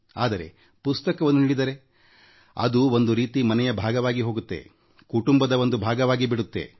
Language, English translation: Kannada, But when you present a book, it becomes a part of the household, a part of the family